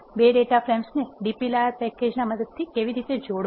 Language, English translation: Gujarati, And how to combine 2 data frames using the dplyr package